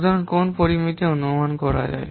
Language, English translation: Bengali, So, what parameters can be estimated